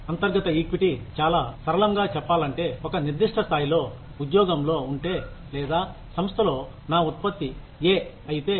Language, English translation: Telugu, Internal equity, in very simple terms, means that, if at a certain level of, in the job, or, if my output is, say A, in one organization